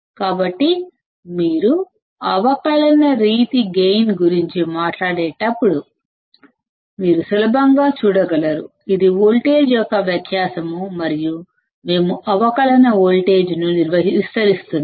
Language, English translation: Telugu, So, when you talk about differential mode gain; you can easily see, it is a difference of voltage and that we are amplifying the differential voltage and that is why it is called differential mode gain